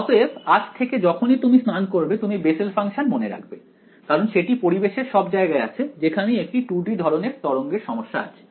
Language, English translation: Bengali, So, from today whenever you have a bath you will remember Bessel functions right, because they are everywhere in nature wherever there is a 2 D kind of a wave problem